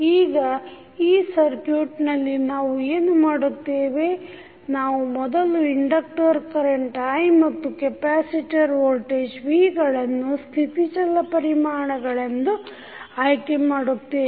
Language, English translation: Kannada, First step is that what we will select the inductor current i and capacitor voltage v as a state variable